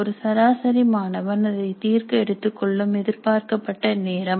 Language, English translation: Tamil, Time expected to be taken to solve by an average student